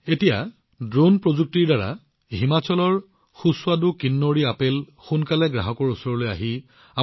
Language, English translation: Assamese, Now with the help of Drone Technology, delicious Kinnauri apples of Himachal will start reaching people more quickly